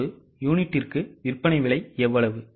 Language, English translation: Tamil, How much is the sale price per unit